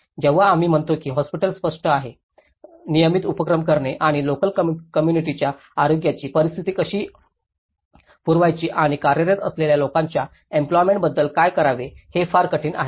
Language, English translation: Marathi, When we say hospital has been obvious, it is very difficult to carry on the regular activities and how it has to serve the local communityís health conditions and what about the employment of those people who are working